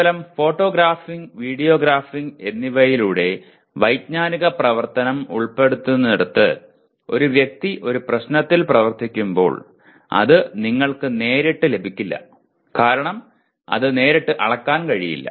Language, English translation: Malayalam, But where cognitive activity is involved by merely photographing, by video graphing when a person is working on a problem does not get you very much because it is not directly measurable